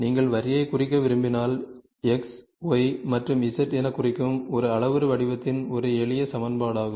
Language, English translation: Tamil, So, if you want to draw represent line, which is this is a simple equation in a parametric form you represented as X, Y and Z